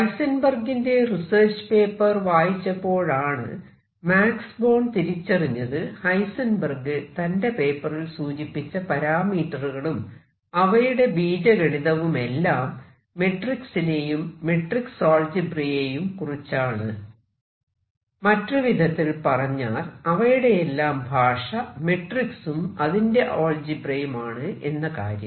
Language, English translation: Malayalam, Born on reading Heisenberg’s paper realized that the quantities that Heisenberg was talking about and the algebra, he was talking about was actually that of matrix algebra; the language was that of matrix algebra and everything was dealt with matrices